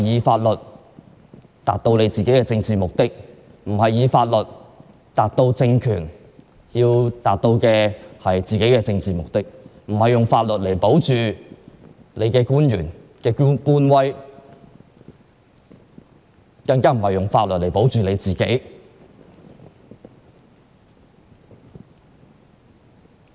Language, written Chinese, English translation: Cantonese, 法律不應用作達到政治目的，不應用作達到政權想要達到的政治目的，不應用作保存官威，更不應用作維護自己。, The law should not be used as a means to achieving political purposes as a means to achieving the political purposes that the ruling regime desires as a means to maintaining ones official authority or even as a means to protecting oneself